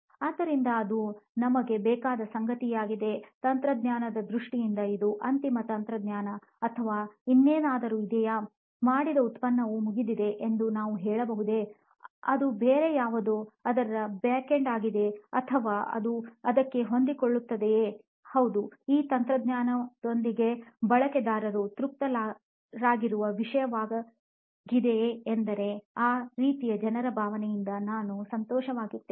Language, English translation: Kannada, So that is something that we want, in terms of technology is this the ultimate technology that is going to be inside it or is there something else, is the product done can we say it is done, is it going to be something else which is going to be the backend of it, or is it going to fit into it, is it going to be something that the users are going to be satisfied saying yes with this technology I am happy with that kind of a feeling people get